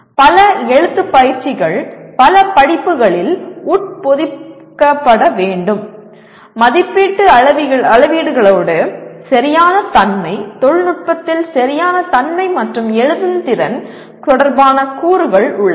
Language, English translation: Tamil, Several writing exercises should be embedded into a number of courses with evaluation rubrics having elements related to correctness, technical correctness and writing skills